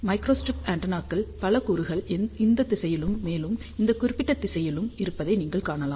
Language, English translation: Tamil, You can see that there are several elements of microstrip antennas are there in this direction as well as in this particular direction